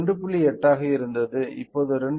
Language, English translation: Tamil, 8, now it is 2